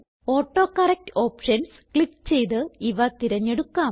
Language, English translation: Malayalam, These options are selected by clicking on the AutoCorrect Options